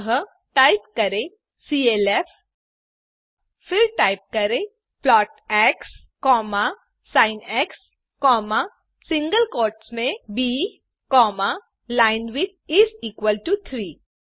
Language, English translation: Hindi, So , type clf , then type plot x, sin,within single quotes b,linewidth is equal to 3